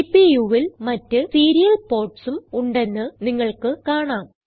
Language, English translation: Malayalam, You may notice that there are other serial ports on the CPU